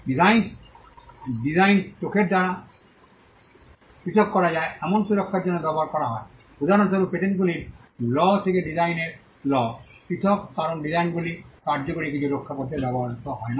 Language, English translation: Bengali, Designs, designs are used to protect what can be distinguished by the eye for instance, the law of designs different from the law of patents, because designs are not used to protect something that is functional